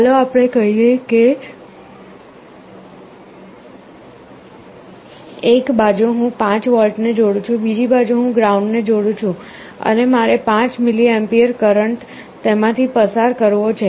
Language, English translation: Gujarati, And let us say on one side I connect 5 volts, on the other side I connect ground, and I want a current of, let us say, 5mA to pass through it